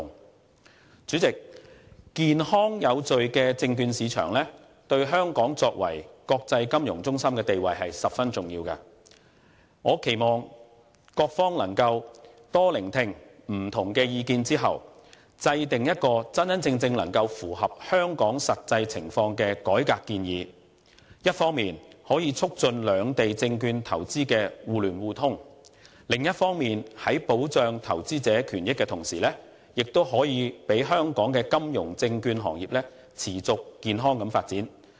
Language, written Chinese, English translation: Cantonese, 代理主席，健康有序的證券市場對香港作為國際金融中心的地位是十分重要的，我期望各方在多聆聽不同的意見後，制訂真正能夠符合香港實際情況的改革建議，一方面促進兩地證券投資的互聯互通，另一方面，在保障投資者權益的同時，讓香港的金融證券行業持續健康地發展。, Deputy President a healthy and orderly securities market is very important to Hong Kongs status as an international financial centre . I hope that after heeding more different views various sides can formulate reform proposals which are truly consistent with the realities of Hong Kong so as to facilitate mutual connection between both places in securities investment and enable the sustainable and healthy development of Hong Kongs financial and securities industries while also protecting investors rights and interests